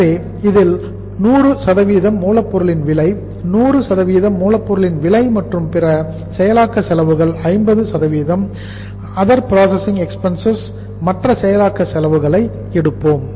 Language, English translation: Tamil, So in this we will take the 100% cost of raw material, 100% cost of raw material plus 50% of the other processing expenses OPE, 50% of the other processing expenses